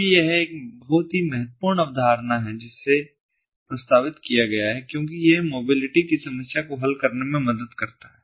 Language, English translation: Hindi, now, this is a very important concept that has been proposed because it helps to solve the problem of mobility